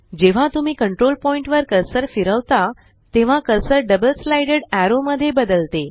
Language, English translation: Marathi, As you hover your cursor over the control point, the cursor changes to a double sided arrow